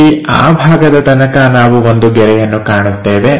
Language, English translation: Kannada, So, up to that part, we will see a line